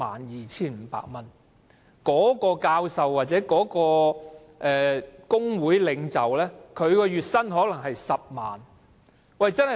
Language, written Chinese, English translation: Cantonese, 然而，一名教授或工會領袖的月薪往往是10萬元或更高。, However the monthly salary of a professor or a trade union leader is very often 100,000 or even higher